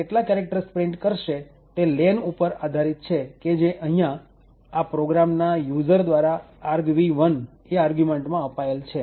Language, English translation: Gujarati, The number of characters that get printed depends on len and which in turn is specified by the user of this program in argv1